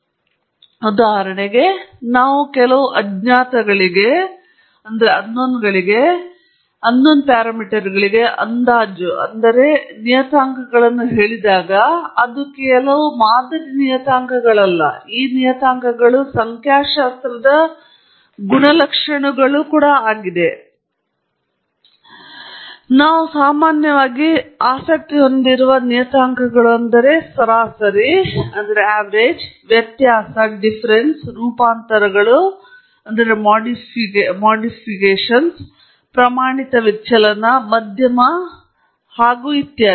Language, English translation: Kannada, common purposes, for example, parameter estimation where we are inferring certain unknowns, and when I say parameters here, it is not just model parameters; these parameters could also refer to statistical properties that we are commonly interested in, such as averages that is mean, variability, variants or standard deviation, median and and so on